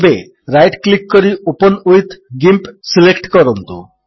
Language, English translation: Odia, Now, right click and select Open with GIMP